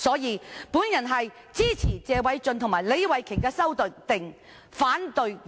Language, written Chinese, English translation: Cantonese, 有見及此，我支持謝偉俊議員和李慧琼議員的修正案，反對原議案。, For this reason I support the amendments of Mr Paul TSE and Ms Starry LEE and oppose the original motion